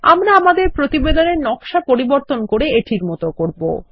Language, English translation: Bengali, We will modify our report design to look like this